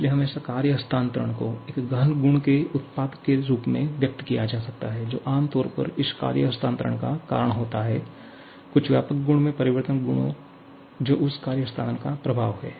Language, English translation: Hindi, So, always the work transfer can be expressed as the product of an intensive property which is generally the reason for this work transfer multiplied by the change in some extensive property which is the effect of that work transfer